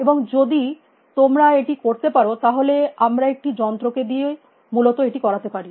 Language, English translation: Bengali, And if you can do that, we can make a machine do with essentially